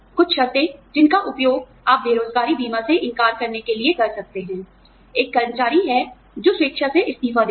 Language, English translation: Hindi, Some conditions, that you can use, to deny unemployment insurance are, an employee, who quits voluntarily